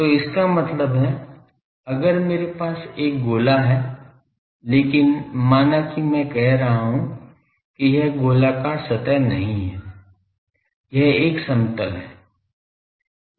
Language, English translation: Hindi, So, that that means, if I have a sphere, but suppose I am telling no this is not a spherical surface, this is a plane